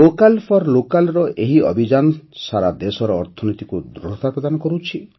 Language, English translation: Odia, This campaign of 'Vocal For Local' strengthens the economy of the entire country